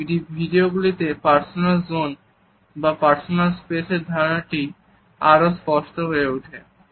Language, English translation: Bengali, In this video, our idea of the personal zone or personal space also becomes clear